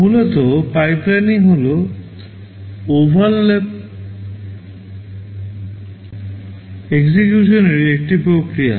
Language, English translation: Bengali, Basically pipelining is a mechanism for overlapped execution